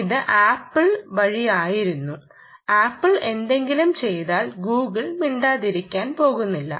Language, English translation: Malayalam, this was by apple, and if apple does something, google is not going to keep quiet right